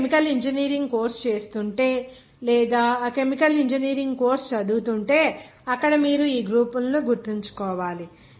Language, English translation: Telugu, If you are doing the course of chemical engineering or studying that chemical engineering course that you have to remember these groups there